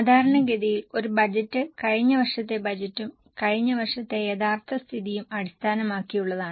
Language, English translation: Malayalam, Typically a budget is based on last year's budget and last year's actual